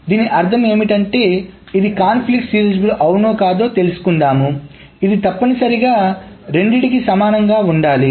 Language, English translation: Telugu, That means to say that whether this is conflict serializable or not, it must be equivalent to either